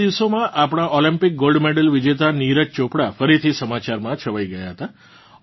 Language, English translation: Gujarati, Recently, our Olympic gold medalist Neeraj Chopra was again in the headlines